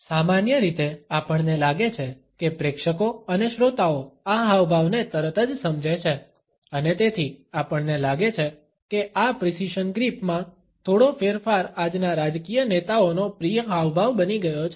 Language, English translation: Gujarati, Normally, we find that audience and listeners understand this gesture immediately and therefore, we find that a slight variation of this precision grip has become a favorite gesture of today’s political leaders